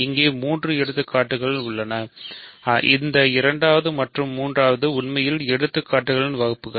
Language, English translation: Tamil, So, we have three examples here; this second and third are in fact, classes of examples